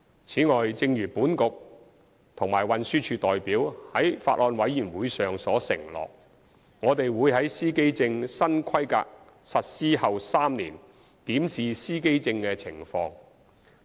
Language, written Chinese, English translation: Cantonese, 此外，正如本局及運輸署代表在法案委員會上所承諾，我們會於司機證新規格實施後3年檢視司機證的情況。, In addition as undertaken by the representatives of our Bureau and TD at the Bills Committee meeting we will review the situation of the driver identity plates in three years time after the implementation of the new specifications